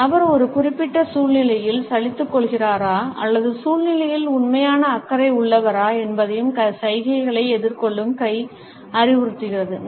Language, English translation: Tamil, The hand to face gestures also suggests, whether a person is feeling bored in a given situation or is genuinely interested in the situation